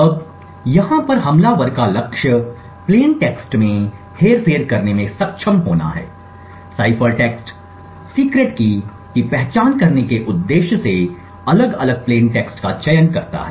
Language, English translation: Hindi, Now the goal of the attacker over here is to be able to manipulate the plain text, cipher text choose different plain text choose different cipher text with the objective of identifying what the secret key is